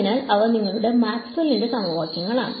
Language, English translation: Malayalam, So, those are your Maxwell’s equations right